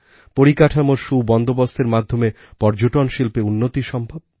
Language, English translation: Bengali, There were improvements in the infrastructure to increase tourism